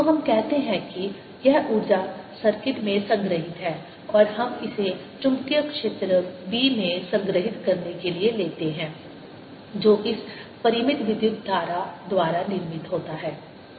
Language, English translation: Hindi, so we say this energy is stored in the circuit and we take it to be stored in the magnetic field b that is produced by this current finite